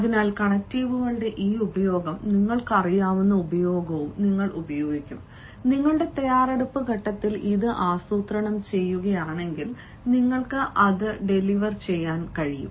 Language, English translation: Malayalam, so hence this use of connectives and that you will be using, you know carefully, if you plan it in your preparation stage, you can also deliver it and you can deliver it deliberately